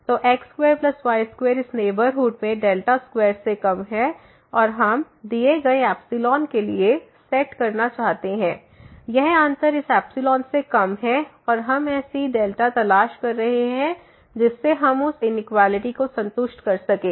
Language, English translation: Hindi, So, x square plus y square in this neighborhood is less than delta square and we want to set for a given epsilon, this difference less than epsilon and we are looking for such a delta which we satisfy that inequality